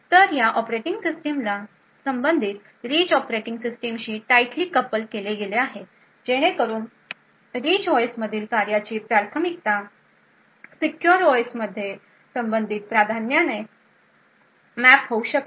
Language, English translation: Marathi, So, these operating systems are tightly coupled to the corresponding rich operating systems so that a priority of a task in the Rich OS can get mapped to a corresponding priority in the secure OS